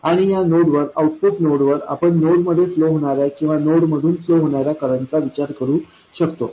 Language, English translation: Marathi, And at this node, at the output node, we can consider either current flowing into the node or away from the node